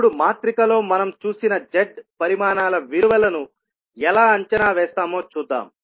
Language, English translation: Telugu, Now, let us see how we will evaluate the values of the Z quantities which we have seen in the matrix